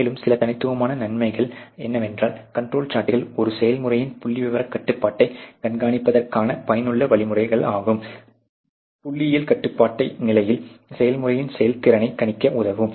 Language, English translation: Tamil, And some of the distinct benefits are that the control charts are effective means of monitoring statistical control on a process help to predict the performance of a process when the process in the state of statistical control